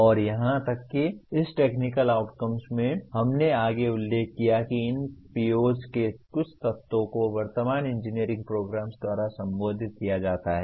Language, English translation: Hindi, And even in this technical outcomes, we further noted that only some elements of these POs are addressed by the present day engineering programs